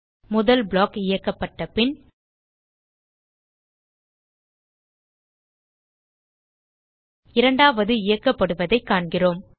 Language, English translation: Tamil, we see that after the first block is executed, the second is executed